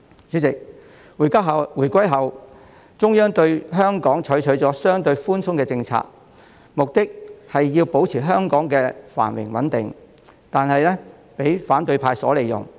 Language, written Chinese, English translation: Cantonese, 主席，在回歸後，中央對香港採取了相對寬鬆的政策，目的是要保持香港的繁榮穩定，但卻為反對派所利用。, President after the reunification the Central Authorities adopted a relatively lenient policy towards Hong Kong with the aim of maintaining Hong Kongs prosperity and stability but it has been taken advantage of by the opposition camp